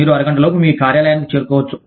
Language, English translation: Telugu, You could get to your office, within half an hour